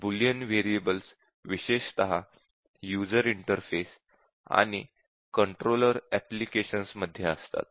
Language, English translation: Marathi, There are Boolean variables especially in user interfaces and controller applications, there are too many of these